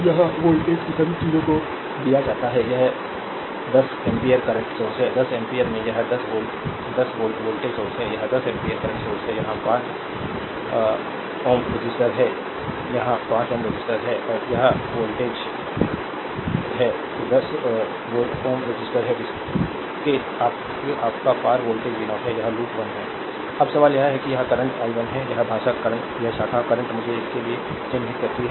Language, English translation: Hindi, You have to find out i 1 and v 0 i 1 is this current, i 1 is this current and v 0 is this voltage all the things are given this is 10 ampere current source , a 10 ampere here we have a 10 volt, 10 volt voltage source here we have a 10 ampere current source , you have a 5 ohm resistor here 5 ohm resistor here , and this voltage this is a 10 ohm resistor across is voltage is v 0 , this is loop one, right